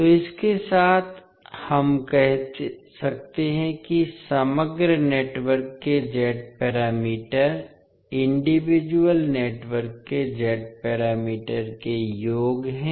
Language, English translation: Hindi, So, with this we can say that the Z parameters of the overall network are the sum of the Z parameters of the individual networks